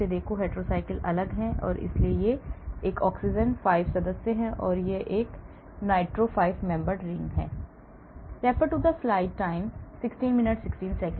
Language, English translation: Hindi, look at this, the hetero cycles are different, this is an oxygen 5 membered, this is the nitro 5 membered rings